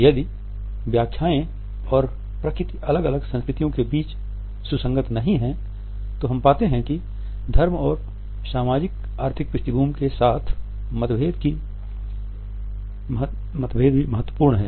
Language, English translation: Hindi, If the interpretations and nature are not consistent amongst different cultures, we find that the differences of religions and differences with socio economic background are also important